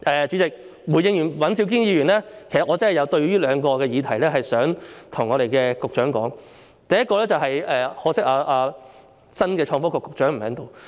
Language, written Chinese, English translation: Cantonese, 主席，回應尹兆堅議員之後，其實我真的有兩個議題想跟局長說，可惜新任創新及科技局局長不在席。, President in fact I really wish to raise two issues with the Secretary after responding to Mr Andrew WAN but it is such a pity that the new Secretary for Innovation and Technology is not present here